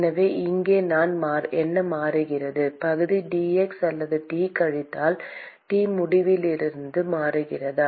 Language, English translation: Tamil, So, here, what is changing is the area changing with dx or T minus T infinity